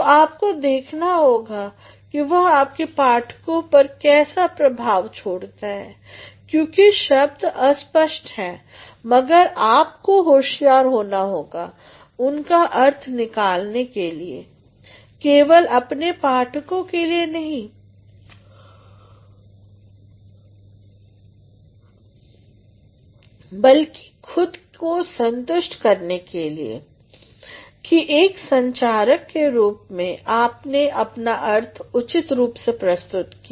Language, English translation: Hindi, So, you have to see how it affects your readers because words are tricky, but you have to be a trickier person in order to derive meaning not only for your readers but to satisfy yourself that as a communicator you have been able to convey your meaning properly